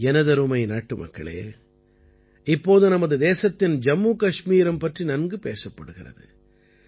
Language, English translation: Tamil, My dear countrymen, nowadays there is a lot of discussion about Jammu and Kashmir in our country